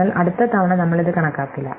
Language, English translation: Malayalam, So, that next time we will not compute it again